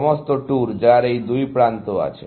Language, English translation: Bengali, All tours, which have these two edges is this